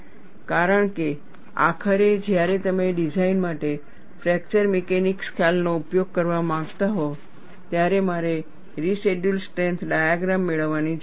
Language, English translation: Gujarati, Because ultimately, when you want to use fracture mechanics concepts for design, I need to get residual strength diagram